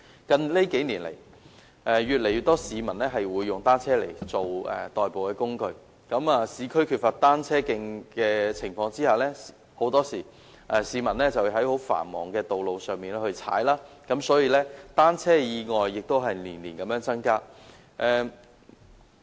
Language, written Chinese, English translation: Cantonese, 近數年，越來越多市民使用單車作為代步工具，在市區缺乏單車徑的情況下，市民很多時候要在十分繁忙的道路上踏單車，所以單車意外年年增加。, In recent years since more and more people are using bicycles as a mode of transport and given a shortage of cycle tracks in the urban areas members of the public often have to cycle on busy roads and therefore accidents involving bicycles have increased year after year